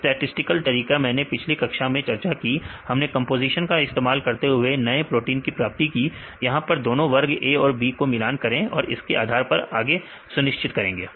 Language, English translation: Hindi, Statistical methods I discussed earlier in the classes; we have we use a composition and get the new protein; this you compare with the group A and group B and based under we decide